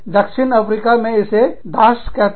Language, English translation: Hindi, South Africa, it is called Dash